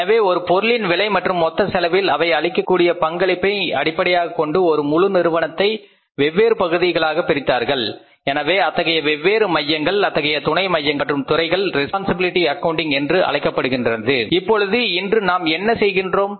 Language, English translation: Tamil, So, when you divided the whole firm according to the cost of the product and their contribution to the total cost of the product, so these different centers, these units of units and departments called as responsibility accounting